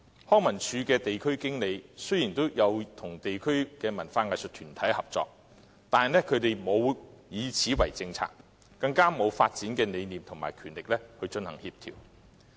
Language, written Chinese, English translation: Cantonese, 康文署的地區經理與地區的文化藝術團體合作，但卻沒有就此制訂政策，更沒有發展的理念和權力來協調。, Cooperation does exist between LCSD district managers and local arts and cultural groups but no policy has been formulated in this regard; and the two parties lack any development concept or related powers to coordinate their work